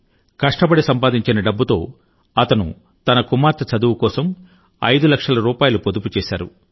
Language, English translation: Telugu, Through sheer hard work, he had saved five lakh rupees for his daughter's education